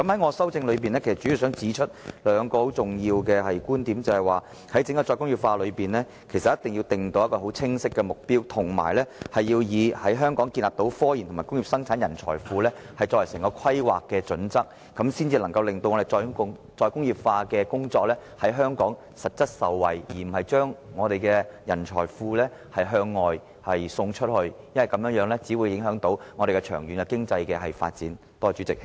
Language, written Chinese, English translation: Cantonese, 我的修正案主要想指出兩個很重要的觀點，便是政府一定要為整個"再工業化"政策訂出一個十分清晰的目標，並且以在香港建立科研及工業生產人才庫作為整體規劃的準則，這樣才能夠令香港實質受惠於"再工業化"，而不是把我們的人才庫向外送出，否則我們長遠的經濟發展會受到影響。, I wish to make mainly two key points in my amendment ie . the Government must draw up a clear target for the entire re - industrialization policy and that the overall planning should be based on a pool of talents well versed in scientific research and industrial production established in Hong Kong so that Hong Kong can reap real benefits from re - industrialization instead of exporting our pool of talents . Otherwise our long - term economic development will be affected